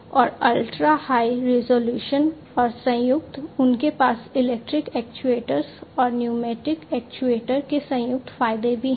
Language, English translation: Hindi, And ultra high resolution and combined, they also have the combined advantages of the electric actuators and the pneumatic actuator